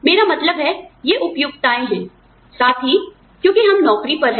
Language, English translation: Hindi, I mean, these are conveniences, plus, because, we are on job